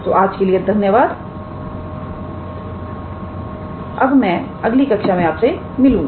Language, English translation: Hindi, So, thank you for today and I look forward to your next class